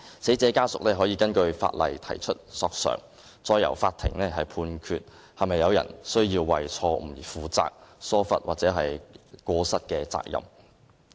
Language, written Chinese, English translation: Cantonese, 死者家屬可以根據法例提出索償，再由法庭判決是否有人須為錯誤而承擔疏忽或過失的責任。, Pursuant to the Ordinance relatives of the deceased may bring an action for damages to court for it to decide if anyone should be made liable for such a wrongful act neglect or default